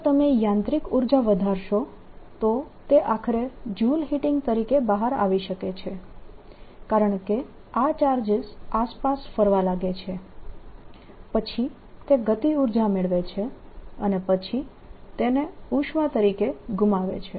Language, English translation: Gujarati, if you increase the mechanical energy, it may finally come out as joule heating, because these charges start moving around, gain kinetic energy and then lose it as heat